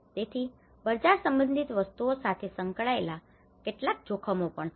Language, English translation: Gujarati, So, there are also some risks associated to the market related things